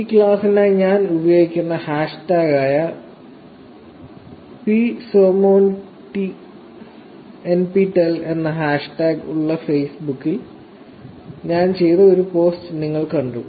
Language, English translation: Malayalam, You saw one of the posts that I did on Facebook which had hashtag psomonnptel, which is the hashtag I am using for this class also